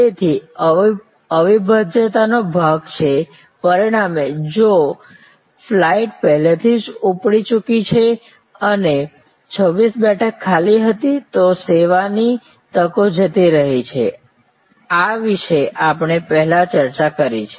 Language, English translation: Gujarati, So, this is the inseparability part, as a result if the flight has already taken off and there were 26 vacant, that service opportunities gone, this we have discussed before